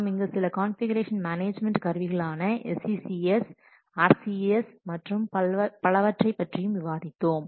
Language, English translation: Tamil, We have presented some configuration management tools such as SCCS, R, etc